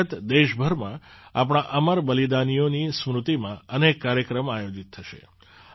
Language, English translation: Gujarati, Under this, many programs will be organized across the country in the memory of our immortal martyrs